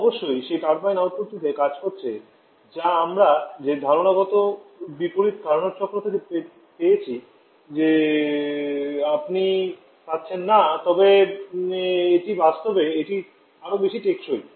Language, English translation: Bengali, Of course that turbine going to work output that we could have got from that conceptual reverse Carnot cycle that you are not getting but still it is much more during practice